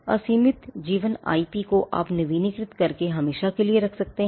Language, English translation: Hindi, Unlimited life IP since you can keep it forever by renewing it